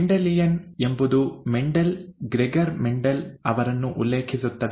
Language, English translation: Kannada, Mendelian refers to Mendel, Gregor Mendel